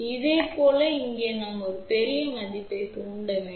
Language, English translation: Tamil, Similarly, over here we need to put a large value of inductor